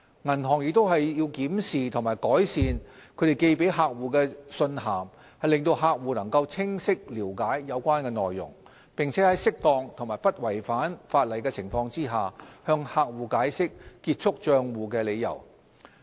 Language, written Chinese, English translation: Cantonese, 銀行亦須檢視和改善致客戶的信函，令客戶能清晰了解有關內容，並在適當和不違反法例的情況下，向客戶解釋結束帳戶的理由。, Banks are also required to review and revise the contents of the letters to customers to ensure customers can clearly understand the contents therein and where appropriate and permitted by law to explain to them the reasons for closure of accounts